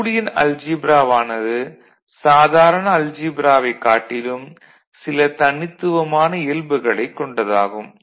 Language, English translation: Tamil, So, that is again one unique thing about a Boolean algebra unlike the ordinary algebra